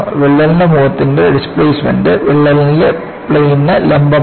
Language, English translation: Malayalam, The displacement of crack faces is perpendicular to the plane of the crack